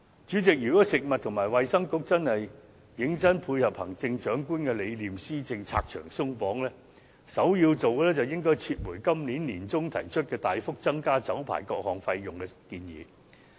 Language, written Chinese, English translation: Cantonese, 主席，如果食物及衞生局認真配合行政長官的施政理念，為百業拆牆鬆綁，首先要做的是撤回今年年中提出大幅增加酒牌各項費用的建議。, President to seriously tie in with the Chief Executives philosophy of governance and remove obstacles for our industries the first thing the Food and Health Bureau should do is to withdraw the proposal it made in the middle of this year for drastic increases in various fees for liquor licences